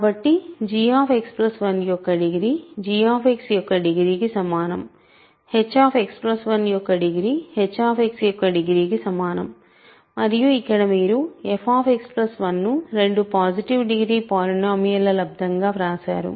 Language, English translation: Telugu, So, the degree of g X plus 1 is same as degree of g X, degree of h plus 1 is degree of h X and here you have written f X plus 1 as a product of two positive degree polynomials